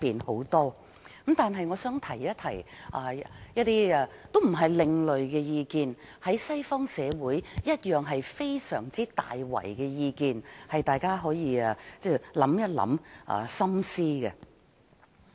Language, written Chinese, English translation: Cantonese, 然而，我想提出一些意見，也說不上是另類意見，因為西方社會也有同樣的意見，希望大家可以深思。, Nevertheless I would like to express some views though I cannot describe them as alternative views as similar views are heard in Western society too . I hope Members can consider these views carefully